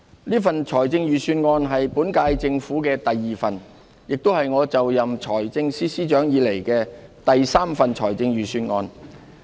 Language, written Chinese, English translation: Cantonese, 這份財政預算案是本屆政府的第二份，亦是我就任財政司司長以來的第三份預算案。, This is the second Budget of the current - term Government my third since I became Financial Secretary